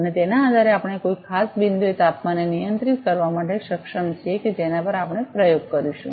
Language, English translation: Gujarati, And depending on that we are able to control the temperature at particular at a particular point at which we will perform a experiment